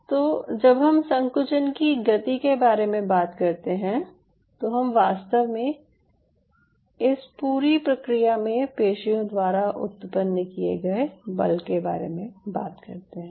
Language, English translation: Hindi, so when we talk about the contraction we talked about the speed of this movement we are essentially talking about the force being generated by the muscle in that whole process